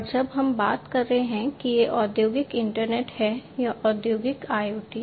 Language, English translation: Hindi, And when we are talking about whether it is the industrial internet or the industrial IoT